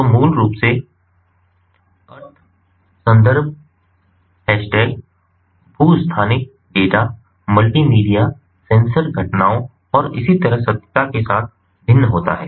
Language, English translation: Hindi, so the the meaning basically varies with context, hash tags, geo spatial data, multimedia sensor events and so on